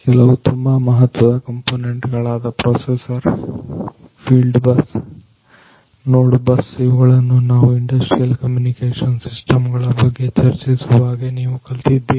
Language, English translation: Kannada, So, some of these important components such as the processor, the field bus, the node bus, these things you have studied when we are talking about the industrial communications systems